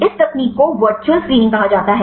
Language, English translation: Hindi, This the technique called virtual screening